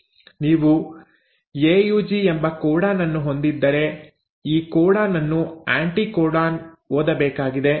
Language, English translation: Kannada, So if you have, let us say a codon AUG; now this codon has to be read by the anticodon